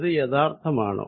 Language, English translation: Malayalam, Is it real